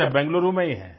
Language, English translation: Hindi, Okay, in Bengaluru